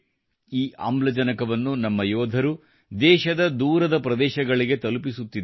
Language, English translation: Kannada, Our warriors are transporting this oxygen to farflung corners of the country